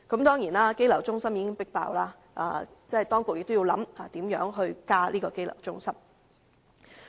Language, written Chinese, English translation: Cantonese, 當然，羈留中心已經爆滿，當局亦要考慮如何增設羈留中心。, Of course as the detention centres are already overcrowded the authorities also need to consider the building of additional ones